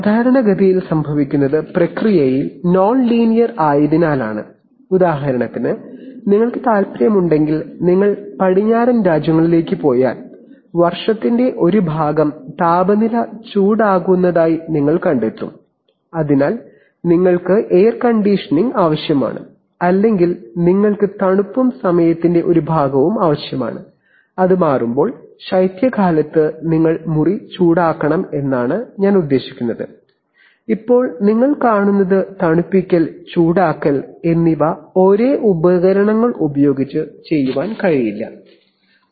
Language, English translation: Malayalam, Typically happens because processes are nonlinear, for example if you want to in, if you go to western countries then you will find that part of the year the temperature becomes warm, so you need air conditioning or you need cooling and part of the time, when it becomes, when in, I mean in winter you have to heat the room, now you see cooling and heating cannot be done using the same equipment